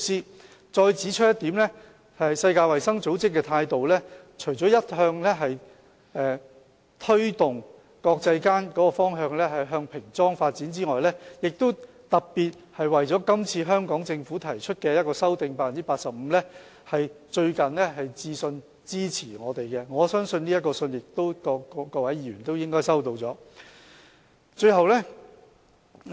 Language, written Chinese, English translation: Cantonese, 我再指出一點，世衞的態度除了一向推動國際間煙草產品的包裝向平裝發展外，亦特別為了今次香港政府提出 85% 的修訂，最近來信支持我們，我相信各位議員應已收到這封信件。, Let me further point out that WHO apart from adopting a continued position of encouraging countries worldwide to move towards plain packaging of tobacco products has also written recently to show support to us specifically for the amendment seeking an 85 % coverage proposed by the Hong Kong Government this time around . I believe Members should have received a copy of its letter